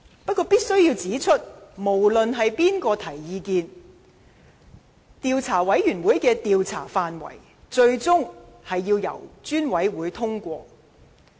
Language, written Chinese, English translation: Cantonese, 不過，我必須指出，無論意見由誰人提出，專責委員會的調查範圍最終須由專責委員會本身通過。, However I must point out that the scope of inquiry would ultimately be endorsed by the Select Committee no matter whose views are raised